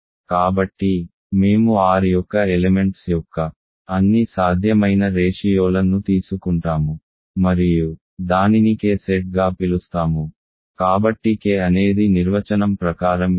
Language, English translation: Telugu, So, we take all possible ratios of elements of R and call that as set K, so K is by definition this